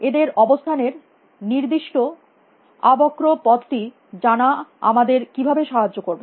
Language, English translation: Bengali, The trajectories of their location how does that help us